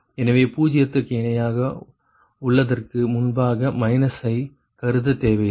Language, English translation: Tamil, so no need to consider minus before that is equal to zero, right